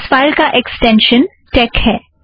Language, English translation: Hindi, The extension of the file is tex